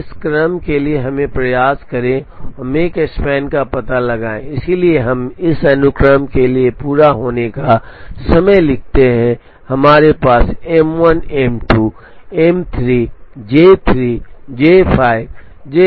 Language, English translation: Hindi, Now, for this sequence let us try and find out the make span, so we write the completion times for this sequence, we have M 1, M 2, M 3, J 3, J 5, J 4, J 2, J 1